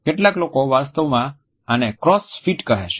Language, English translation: Gujarati, Some people actually call these crows feet